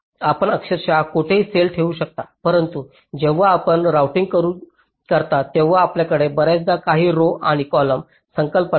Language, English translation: Marathi, you can place a cell virtually anywhere, but when you do routing you often have some rows and column concept tracks and some columns